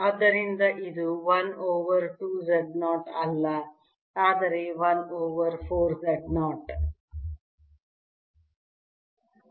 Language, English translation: Kannada, so it's not one over two z naught but one over four z naught